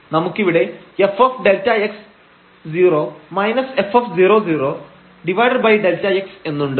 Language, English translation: Malayalam, We have f delta x 0 minus f 0 0 delta x